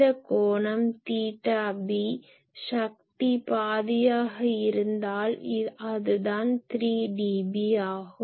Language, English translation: Tamil, This angle theta b , so theta b generally, you see p if power is half that is actually 3 dB